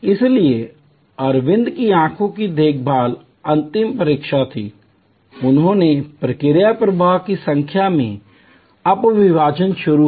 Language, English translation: Hindi, So, what Aravind eye care did is the final examination, they started sub dividing into number of process flows